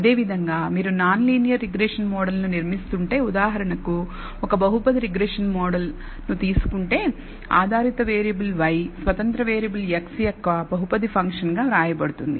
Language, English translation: Telugu, For example, let us take a polynomial regression model where the dependent variable y is written as a polynomial function of the independent variable x